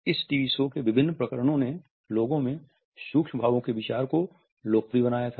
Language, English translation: Hindi, Various episodes of this TV show had popularized the idea of micro expressions in the public